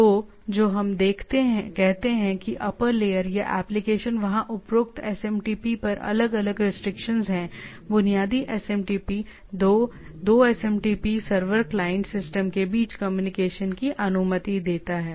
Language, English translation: Hindi, So, those are what we say upper layer, yeah or application there are different restriction on the above SMTP right, basic SMTP allows the communication between the 2 2 SMTP server client system